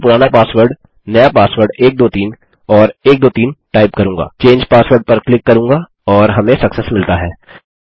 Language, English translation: Hindi, Ill just type in my old password, my new passwords 123 and 123, click change password, and weve got success